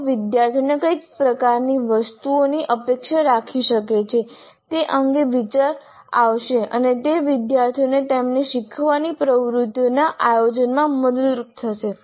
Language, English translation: Gujarati, They would get an idea as to what kind of items the students can expect and that would be helpful for the students in planning their learning activities